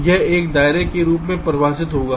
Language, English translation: Hindi, this will define as a radius